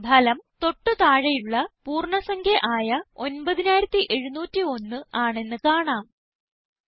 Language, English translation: Malayalam, The result is now 9701 which is the lower whole number